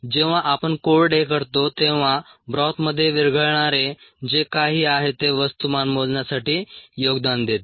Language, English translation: Marathi, when we dry out whatever ah, it's a soluble in the ah broth is going to contribute to the mass measurement